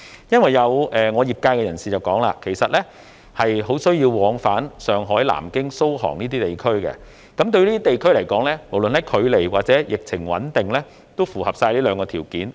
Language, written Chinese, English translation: Cantonese, 因為我的業界裏有人指出，其實他們很需要往返上海、南京、蘇杭等地，而這些地方亦符合距離和疫情穩定這兩個條件。, Some people from my constituency tell me that they need to travel from Hong Kong to Mainland cities such as Shanghai Nanjing Suzhou Hangzhou and so on and the distance and stability of the epidemic situation of these places should have met the two conditions